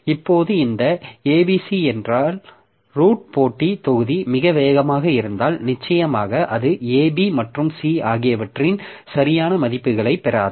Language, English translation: Tamil, Now if this A B is the root computation module is very fast then of course it will not get the proper values of A, B and C